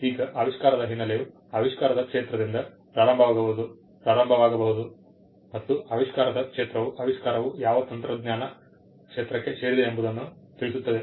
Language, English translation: Kannada, Now, the background of the invention may start with the field of the invention, the field of the invention will tell you to what field of technology does the invention belong to